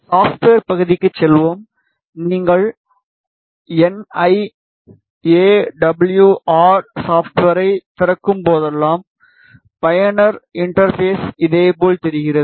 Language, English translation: Tamil, Let us move to the software part whenever you open the NI AWR software the user interface looks like this